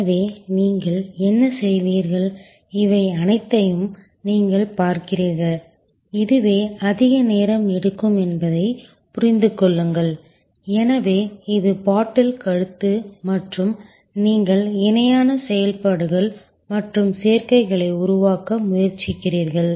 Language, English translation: Tamil, So, what you do is you look at all these understand that this is the one which is taking longest time therefore, this is the bottle neck and you try to create parallel operations and combinations